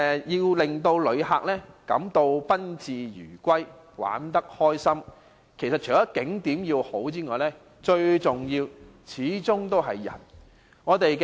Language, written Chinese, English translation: Cantonese, 要令旅客感到賓至如歸，玩得開心，除了景點的吸引外，最重要的始終是人。, For visitors to have an enjoyable trip the importance of people outweighs tourist attractions